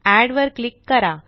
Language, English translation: Marathi, Click on Add